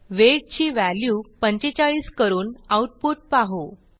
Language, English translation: Marathi, Let us change the value of weight to 45 and see the output